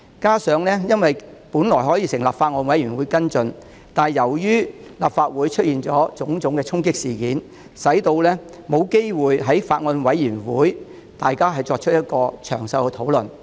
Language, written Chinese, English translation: Cantonese, 再者，我們本可成立法案委員會跟進，但由於立法會出現種種衝擊事件，令議員沒有機會在法案委員會詳細討論法例修訂。, Moreover a bills committee could have been established to follow up on the Bill but due to the various conflicts in the Legislative Council Members did not have the opportunity to discuss the legislative amendment in detail